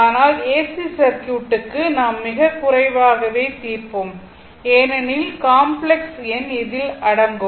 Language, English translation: Tamil, But, for AC circuit ah, we will solve very little because, complex number will be involved, right